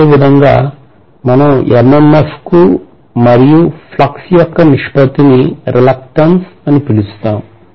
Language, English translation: Telugu, We will similarly call the ratio of MMF to flux as the reluctance